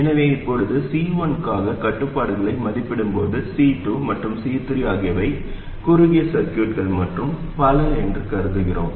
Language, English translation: Tamil, So now while evaluating the constraint for C1, we assume that C2 and C3 are short circuits, and so on